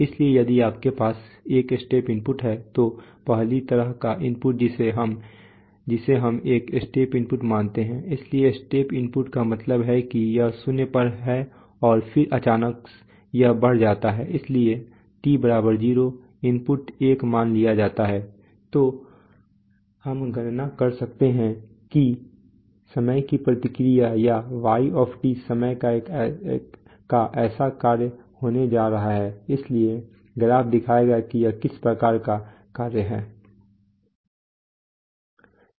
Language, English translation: Hindi, So if you have a step input, so the first kind of input that we consider is a step input, so step input means it is it is at zero and then suddenly it rises so t= 0 the input is 1 suppose so then we actually we can you can compute that the time response or y is going to be such a function of time, so the graph will show what kind of function it is